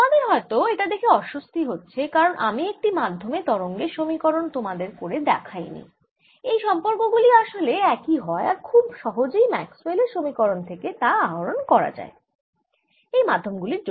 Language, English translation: Bengali, you may be little un comfortable because i did not do this equation for a wave in the medium, but the relationships are the same and this can be obtained very easily by writing maxis equation